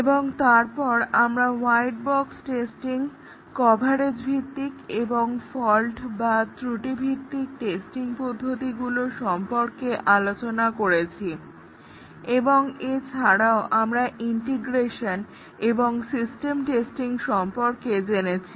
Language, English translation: Bengali, And later, we looked at white box testing, the coverage based and fault based testing techniques; and we also looked at integration and system testing